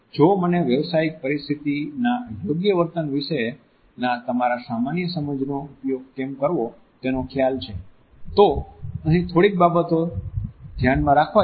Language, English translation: Gujarati, If I remember to use your common sense about proper behavior in a professional setting, here are a few things to keep in mind